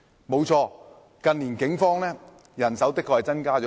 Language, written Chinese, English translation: Cantonese, 沒錯，近年警方的人手的確增加不少。, It is true that the police manpower has been increased in recent years